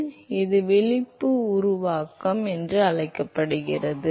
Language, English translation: Tamil, So, this is called the wake formation ok